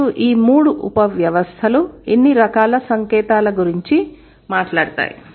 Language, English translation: Telugu, And all the three subsystems would talk about certain kind of signs